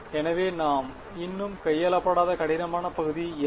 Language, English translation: Tamil, So, what is the difficult part we are not yet handled